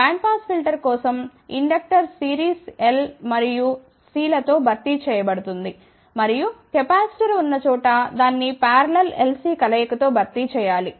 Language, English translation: Telugu, For bandpass filter, wherever there is an inductor that is to be replaced by series L N C and wherever there is a capacitor it has to be replaced by parallel L C combination